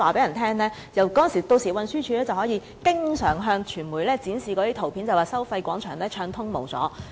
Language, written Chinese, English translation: Cantonese, 若是如此，運輸署屆時便可經常向傳媒展示照片，指收費廣場一帶交通暢通無阻。, If so TD can always show pictures to the press telling them that the traffic in the vicinity of the Toll Plaza is smooth